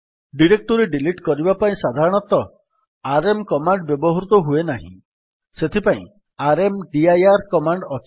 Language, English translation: Odia, rm command is not normally used for deleting directories, for that we have the rmdir command